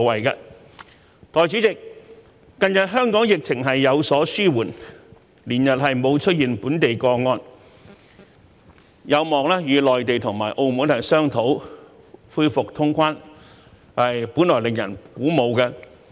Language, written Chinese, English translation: Cantonese, 代理主席，近日香港疫情有所紓緩，連日沒有出現本地個案，有望與內地和澳門商討恢復通關，本來令人鼓舞。, Deputy President it is encouraging to note that the epidemic in Hong Kong has recently subsided there have been no local cases for several days and it is hoped that we can discuss with the Mainland and Macao the resumption of cross - border travel